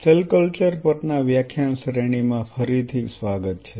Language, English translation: Gujarati, Welcome back to the lecture series in Cell Culture